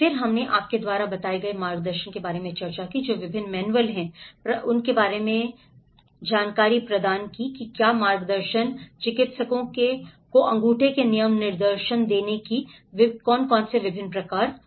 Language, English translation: Hindi, Then we did discuss about the guidance you know, what are the various manuals that has provided guidance, what are the various kind of giving thumb rule directions to the practitioners